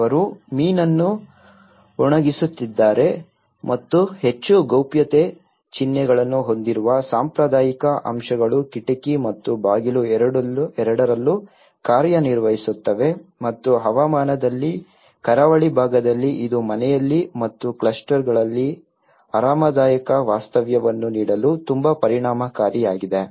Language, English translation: Kannada, They are drying of the fish and also the traditional elements which have the more privacy symbols it could act both as a window and door and it is climatically on the coastal side it is very efficient to give comfortable stay in the house and even the clusters